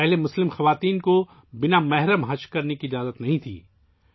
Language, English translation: Urdu, Earlier, Muslim women were not allowed to perform 'Hajj' without Mehram